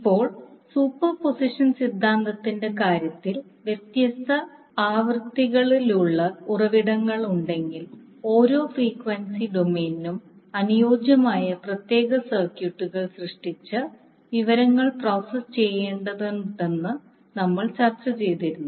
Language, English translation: Malayalam, Now, if you see in case of superposition theorem we discussed that if there are sources with different frequencies we need to create the separate circuits corresponding to each frequency domain and then process the information